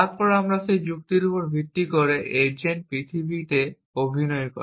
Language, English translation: Bengali, Then, based on that reasoning the agent does acting in the world